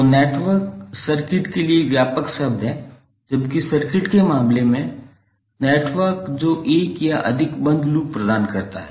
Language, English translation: Hindi, So network is the broader term for the circuits, while in case of circuit its network which providing one or more closed path